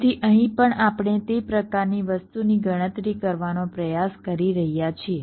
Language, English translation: Gujarati, ok, so here also we are trying to calculate that kind of a thing